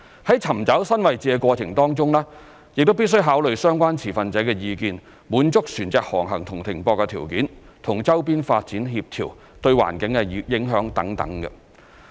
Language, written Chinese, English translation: Cantonese, 在尋找新位置的過程當中，亦必須考慮相關持份者的意見、滿足船隻航行和停泊條件、與周邊發展協調、對環境的影響等。, During the course of identifying the new site consideration must also be given to the views of relevant stakeholders satisfying the navigational and berthing conditions for the vessels compatibility with the surrounding development environmental impact etc